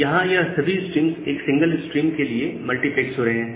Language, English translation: Hindi, So, here all these streams are getting multiplexed to a single stream